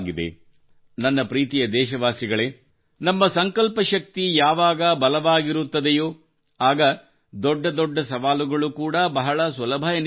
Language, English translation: Kannada, My dear countrymen, when the power of our resolve is strong, even the biggest challenge becomes easy